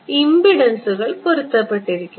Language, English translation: Malayalam, Impedances are matched right